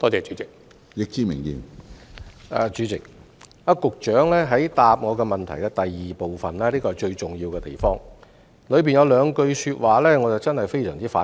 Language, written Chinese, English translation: Cantonese, 主席，局長主體答覆的第二部分是最重要的地方，當中有兩句說話令我非常反感。, President the most important part of the Secretarys main reply is part 2 and I find something he said in that part really objectionable